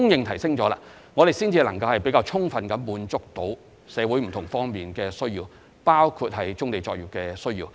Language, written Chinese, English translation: Cantonese, 如是者，我們才能充分滿足社會不同方面的需要，包括棕地作業的需要。, That way we may fully satisfy the needs of various sides in society including the needs arising from brownfield operations